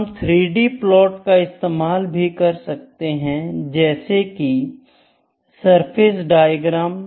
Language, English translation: Hindi, However, we can also have 3 D plots like surface diagrams, ok